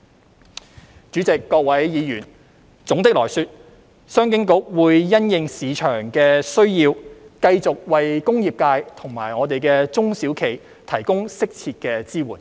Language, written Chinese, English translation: Cantonese, 代理主席、各位議員，總的來說，商經局會因應市場的需要，繼續為工業界及中小企提供適切的支援。, Deputy President Members all in all CEDB will continue to provide appropriate supports to the industrial sector and SMEs according to market needs